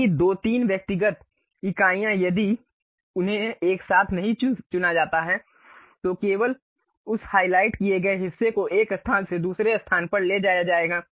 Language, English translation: Hindi, If two three individual entities, if they are not selected together, only one of that highlighted portion will be moved from one location to other location